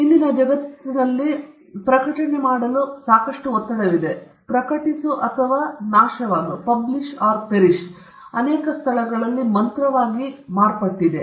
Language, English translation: Kannada, TodayÕs world there is a lot pressure to publish; publish or perish has become the mantra in many places